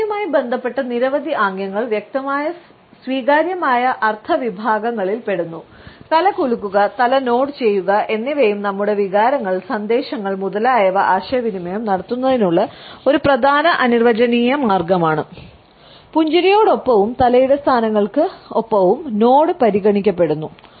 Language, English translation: Malayalam, A number of head related gestures fall into clear categories of accepted meaning and nodding of head and shaking of the head is also a prominent nonverbal way of communicating our feelings, emotions, messages, etcetera along with a smiles and head positions nod is considered